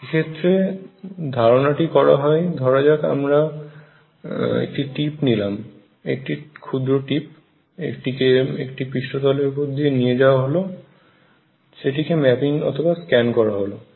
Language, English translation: Bengali, So, ideas is again that you take a tip, a small tip and make it go over a surface that you want to map or scan